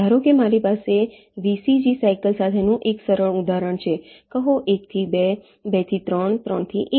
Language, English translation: Gujarati, suppose i have a simple example with a, v, c, v, c, g cycle, say, one to two, two to three, three to one